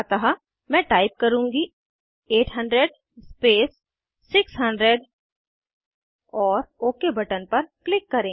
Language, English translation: Hindi, So I will type 800 space 600 and click on OK button